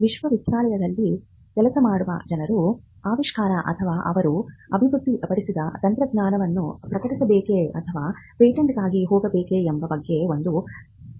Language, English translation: Kannada, One of the concerns that people who work in the university have is with regard to whether they should publish the invention or the technology that they have developed or whether they should go for a patent